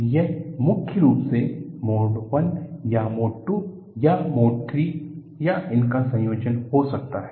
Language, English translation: Hindi, It may be predominantly Mode I or predominantly Mode II or predominantly Mode II or a combination of this